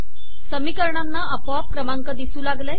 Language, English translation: Marathi, So equation numbers have appeared automatically